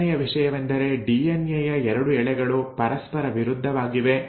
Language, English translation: Kannada, The second thing is that the 2 strands of DNA are antiparallel